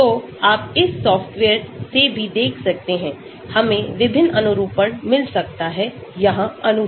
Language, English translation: Hindi, So, you can see from this software also, we can get different conformations of the molecule here